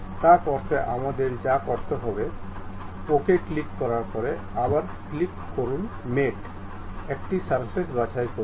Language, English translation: Bengali, To do that what we have to do, after clicking ok, now again click mate, command pick one of the surface